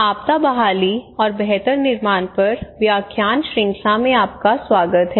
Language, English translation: Hindi, Welcome to disaster recovery and build back better lecture series